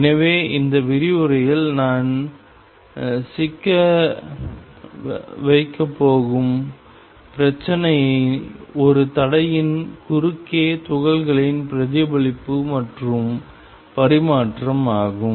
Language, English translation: Tamil, So, the problem I am going to tangle in this lecture is the reflection and transmission of particles across a barrier